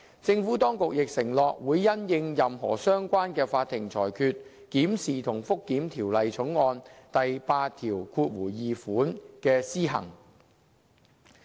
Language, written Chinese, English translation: Cantonese, 政府當局亦承諾會因應任何相關的法庭裁決，檢視和覆檢《條例草案》第82條的施行。, The Administration undertook to monitor and review the operation of clause 82 in the light of any relevant court decision